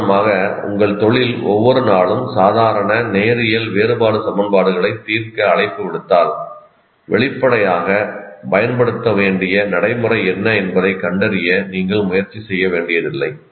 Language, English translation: Tamil, If, for example, your profession calls for solving ordinary linear differential equations every day, then obviously you don't have to exert yourself to find out what exactly the procedure I need to use